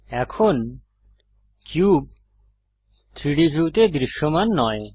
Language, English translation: Bengali, The cube is no longer visible in the 3D view